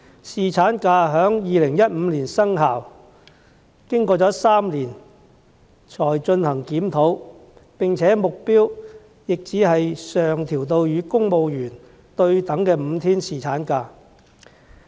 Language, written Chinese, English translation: Cantonese, 侍產假在2015年生效，經過3年才進行檢討，而目標也只是將日數上調至與公務員對等的5天侍產假。, Paternity leave came into effect in 2015 . But a review is conducted only three years later and the objective is merely to increase the number of leave days to bring it on a par with the five days of paternity leave for civil servants